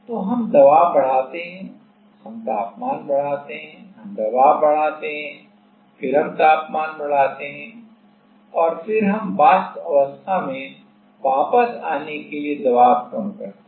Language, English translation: Hindi, So, we increase the pressure, we increase the temperature, we increase the pressure, then we increase the temperature and then again we decrease the pressure to come back to the vapor phase